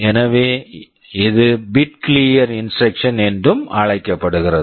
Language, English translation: Tamil, So, this is also called a bit clear instruction